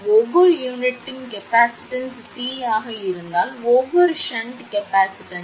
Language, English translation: Tamil, If the capacitance of each unit is C, then each shunt capacitance equal to 0